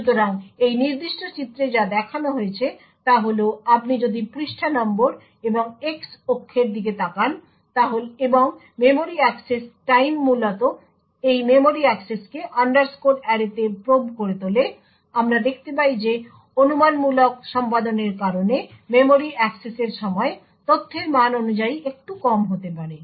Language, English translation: Bengali, So what has been shown in this particular figure is if you look at page numbers and on the x axis and the memory access time essentially make this memory access to probe underscore array what we see is that the memory access time due to the speculative execution may be a bit lower corresponding to the value of data